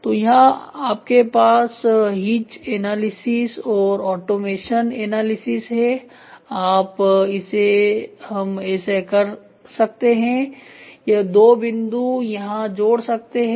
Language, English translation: Hindi, So, where you can have Hitch analysis and automation analysis we can do like this or the 2 points connect here